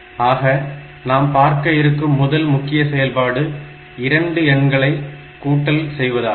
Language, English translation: Tamil, So, the first most important operation that we have is the addition of 2 numbers